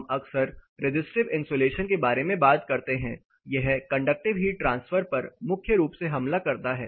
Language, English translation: Hindi, We often talk about resistive insulation, here the primary mode of heat transfer which it attacks the conductive heat transfer